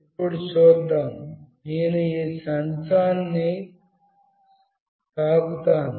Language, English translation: Telugu, Now let us see … I will touch this sensor